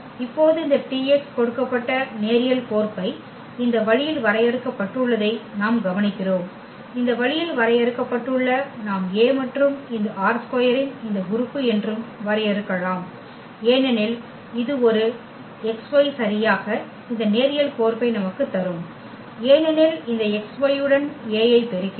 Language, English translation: Tamil, And we note that now that this T x the given linear map here which was defined in this way we can also defined as A and this element of this R 2 because this a into this x y will exactly give us this linear map because if we multiply A with this x y